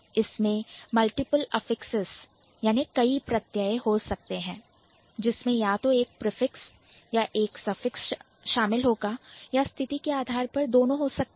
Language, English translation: Hindi, And at the periphery it will have multiple, it might have multiple affixes which would include at least like either a prefix or a suffix or both depending on the situation